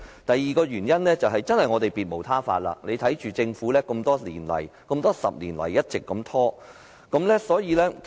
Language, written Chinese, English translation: Cantonese, 第二個原因，是我們別無他法，只能眼睜睜看着政府在過去多年來一直拖延。, The second reason is that we have no other alternative but to watch the Government dragging on over the past for more than 10 years